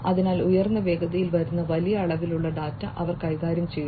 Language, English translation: Malayalam, So, they handle large volumes of data coming in high speeds, right